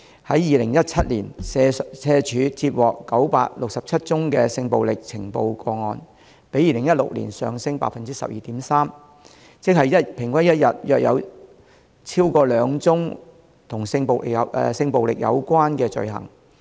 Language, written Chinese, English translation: Cantonese, 在2017年，社署接獲967宗性暴力呈報個案，比2016年上升 12.3%， 即平均一天約有超過兩宗與性暴力有關的罪行。, In 2017 967 cases of sexual violence were reported to SWD representing an increase of 12.3 % as compared with 2016 and that means there were around 2 or more cases relating to sexual violence every day on average